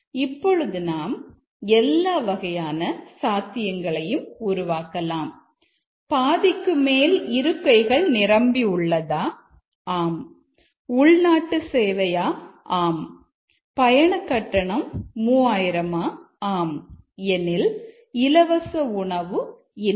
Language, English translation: Tamil, Now we can form all possible combinations of these more than half full yes, domestic, yes, ticket cost 3,000 yes, free meal, no